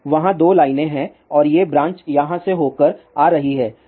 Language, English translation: Hindi, So, there are 2 lines are there and these are the branches coming through here